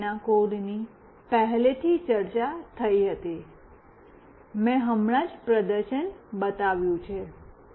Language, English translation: Gujarati, The code for the same was already discussed, I have just shown the demonstration